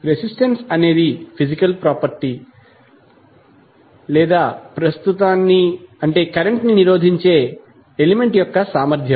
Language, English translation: Telugu, So resistance is a physical property or ability of an element to resist the current